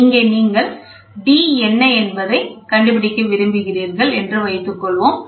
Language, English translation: Tamil, So now, you can try to find out the d, what is d